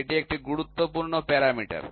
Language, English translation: Bengali, So, this is an important parameter